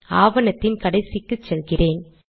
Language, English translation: Tamil, Let me go to the end of the document